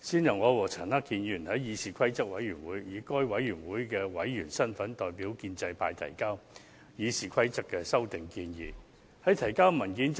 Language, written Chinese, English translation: Cantonese, 最初，我與陳克勤議員以該委員會的委員身份，代表建制派議員於議事規則委員會提交《議事規則》的修訂建議。, Initially it was me and Mr CHAN Hak - kan who as its members submitted to the Committee on Rules of Procedure the proposed amendments to the RoP on behalf of the pro - establishment Members